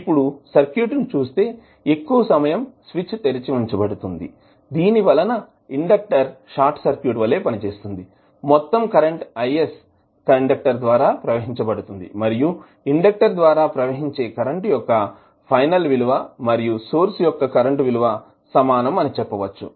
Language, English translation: Telugu, So if you see the circuit when the switch is open for very long period this inductor well be short circuit, so whole current that is I s will flow through the inductor and you can say that the final value of current which is flowing through inductor is same as source current that is I s